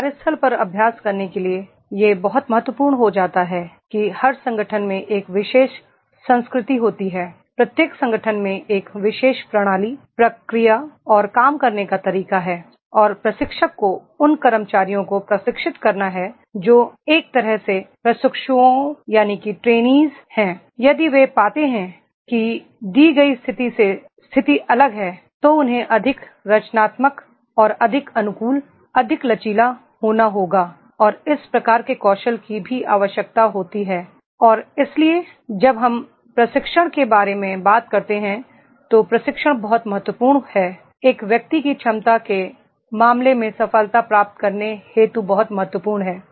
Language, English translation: Hindi, To practice at the workplace it becomes very important that is in every organization there is a particular culture, in every organization there is a particular system, procedure and the way of working and trainer has to train those employees those who are the trainees in a way that if they find the situation is different in the given situation then they have to be more creative and more adaptive, more flexible and this type of the skills are also required and therefore when we talk about the training then the training is very much important to make the success in the case of the ability of an individual